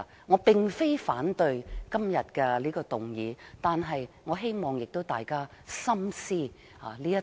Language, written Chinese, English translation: Cantonese, 我並非反對今天的議案，但我希望大家深思這套論點。, I do not oppose this motion today but I hope Members can consider these arguments carefully